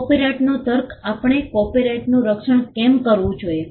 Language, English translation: Gujarati, The rationale of copyright: Why should we protect copyrights